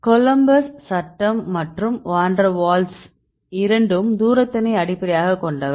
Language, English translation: Tamil, Coulombs law as well as this van der waals both are based on distance right